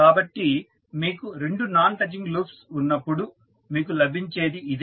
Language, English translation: Telugu, So, this what you will get when you have two non touching loops